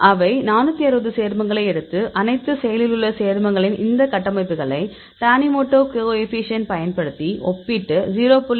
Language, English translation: Tamil, So, they take the 460 compounds and compare these structures of all the active compounds using the tanimoto coefficient and say the cut off of 0